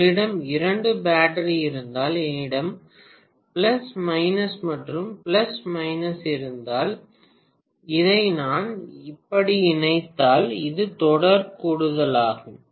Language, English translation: Tamil, If you have two battery, if I have plus, minus and plus, minus, if I connect it like this, it is series addition, right